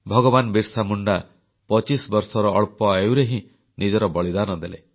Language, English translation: Odia, BhagwanBirsaMunda sacrificed his life at the tender age of twenty five